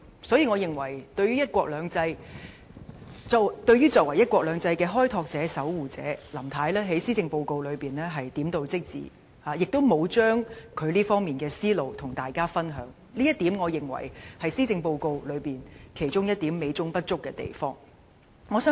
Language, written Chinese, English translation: Cantonese, 所以，對於林太作為"一國兩制"的守護者和開拓者，我認為她在施政報告中的論述只是點到即止，亦沒有把她在這方面的想法和大家分享，這是施政報告其中一點美中不足之處。, Therefore I think that Mrs LAMs remarks in the Policy Address as the guardian and pioneer of one country two systems are very superficial and she has not shared with us her ideas in this respect . This is one of the inadequacies of the Policy Address